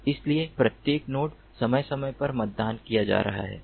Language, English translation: Hindi, so every node is going to be polled periodically